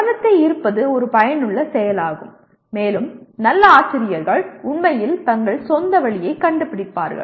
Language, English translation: Tamil, That getting the attention is an affective activity and good teachers find their own way of doing actually